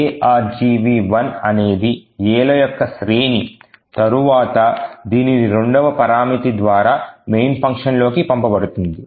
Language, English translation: Telugu, So, argv 1 is the series of A’s which is then passed into the main function through this second parameter argv 1